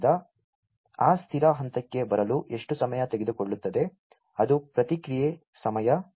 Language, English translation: Kannada, So, how much is the time taken to come to that stable point, that is the response time